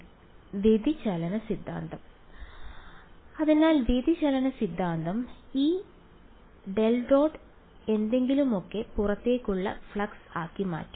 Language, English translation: Malayalam, Divergence theorem right; so divergence theorem will convert this del dot something into the outward flux right